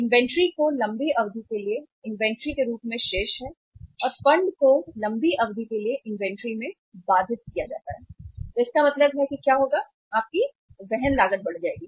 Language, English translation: Hindi, Inventory is remaining as inventory for the longer duration and funds are blocked in the inventory for the longer duration so it means that what will happen, your carrying cost will increase